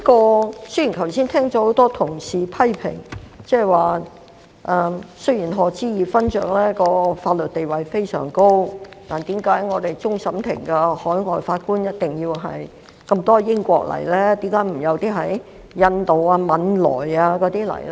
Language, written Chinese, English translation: Cantonese, 我剛才已聽到多位同事批評指，雖然賀知義勳爵的法律地位非常高，但為何我們終審法院多位海外法官均來自英國，卻沒有來自印度或汶萊呢？, Despite Lord HODGEs prominent status in the legal profession I heard colleagues criticize just now that a large number of the overseas judges of the Court of Final Appeal CFA come from the United Kingdom UK yet none of them come from India or Brunei even though those countries are also common law jurisdictions